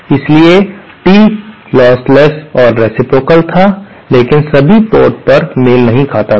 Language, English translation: Hindi, So, tee was lossless and reciprocal but not matched at all ports